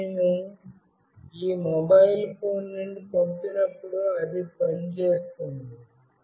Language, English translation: Telugu, But, when I sent from this mobile phone, it will work